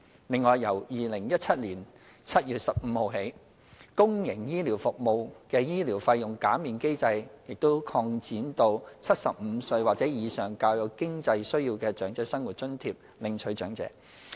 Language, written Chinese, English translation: Cantonese, 另外，由2017年7月15日起，公營醫療服務的醫療費用減免機制已擴展至75歲或以上較有經濟需要的"長者生活津貼"領取長者。, The medical fee waiver for public health care services has also been extended to OALA recipients aged 75 or above with more financial needs with effect from 15 July 2017